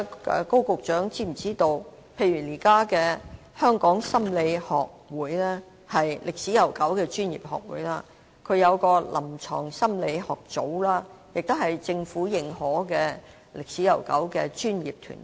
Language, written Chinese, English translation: Cantonese, 高局長是否知道，現時香港心理學會——一個歷史悠久的專業學會——設有臨床心理學組，它亦是政府認可且歷史悠久的專業團體。, Is Secretary Dr KO aware that the Hong Kong Psychological Society HKPS is a long - established professional society recognized by the Government and it has set up the Division of Clinical Psychology?